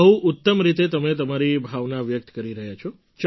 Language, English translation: Gujarati, You are expressing your sentiment very well